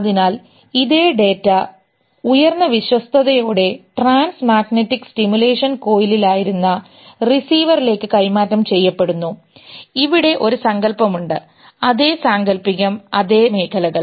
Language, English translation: Malayalam, So this same data is with the high fidelity transferred to the receiver through the trans magnetic stimulation coil and there is a conscious perception here or same imagery, same areas